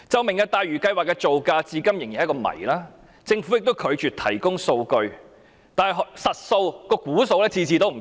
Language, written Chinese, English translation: Cantonese, "明日大嶼"項目的造價至今仍是一個謎，政府也拒絕提供數據，每次估計的數字均有不同。, The cost of the Lantau Tomorrow project is still a mystery . The Government also refuses to provide statistics and the cost estimates vary every time